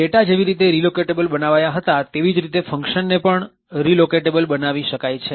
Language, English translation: Gujarati, Functions can be made relocatable in a very similar way as how data was made relocatable